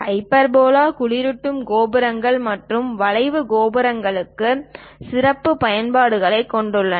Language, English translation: Tamil, Hyperbola has special applications for cooling towers and draft towers